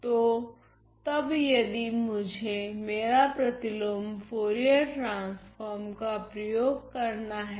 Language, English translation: Hindi, So, then if I were to apply my inverse Fourier transform I see the following